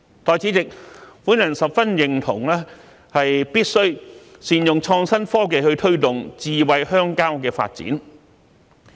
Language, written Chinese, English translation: Cantonese, 代理主席，我十分認同必須善用創新科技去推動"智慧鄉郊"的發展。, Deputy President I very much agree with the optimal use of innovative technology to promote the development of smart rural areas